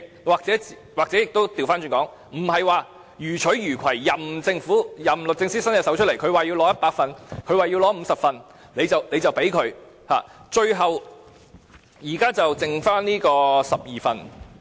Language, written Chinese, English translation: Cantonese, 也許反過來說，不是予取予攜，任由律政司要求索取多少份——他要100份、要50份，也都給他——最後，現在剩下12份。, Speaking reversely do not take everything for granted . Not that the Department of Justice can always get everything at its request say 100 or 50 documents―well 12 documents are all that it requests at last